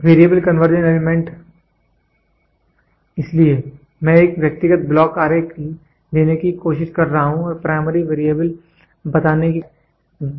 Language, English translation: Hindi, The Variable Conversion Element so, I am trying to take an individual block diagram and am trying to tell primary variable